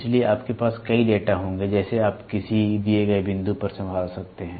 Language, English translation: Hindi, So, you will have many data as you can handle at a given point